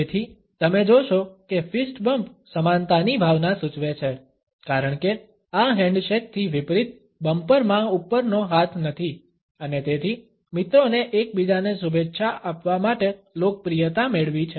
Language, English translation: Gujarati, So, you would find that the fist bump indicates a sense of equality, because in this unlike the handshake neither bumper has the upper hand and therefore, it has gained popularity among friends to greet each other